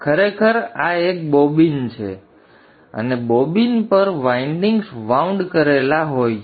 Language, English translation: Gujarati, So actually this is a bobbin and on the bobbin the windings are wound